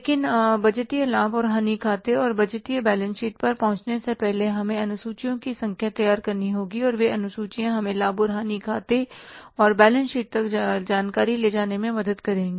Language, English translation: Hindi, But before arriving at the budgeted profit and loss account and the budgeted balance sheet we have to prepare number of schedules and those schedules will help us to take the information finally to the profit and loss account and to the balance sheet